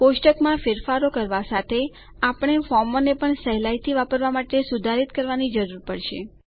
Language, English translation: Gujarati, Along with table changes, we will also need to modify the forms to make them easier to use